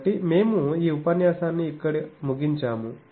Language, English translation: Telugu, So, we conclude this lecture here